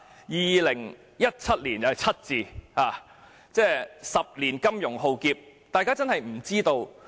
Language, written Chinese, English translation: Cantonese, 2017年有 "7" 字，每10年出現金融浩劫。, The year 2017 includes the number 7 and a financial calamity comes every 10 years